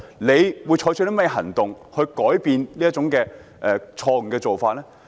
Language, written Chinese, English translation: Cantonese, 政府會採取甚麼行動來改變這種錯誤做法？, What actions will the Government take to change such malpractice?